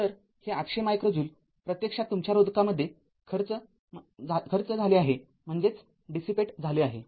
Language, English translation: Marathi, So, this 800 micro joule actually dissipated in the your resistor